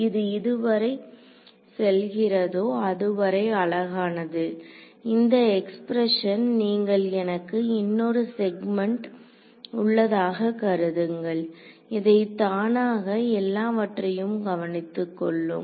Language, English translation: Tamil, So, this is pretty much as far as this goes, this expression as you can see supposing I have another segment over here, it automatically takes care of everything right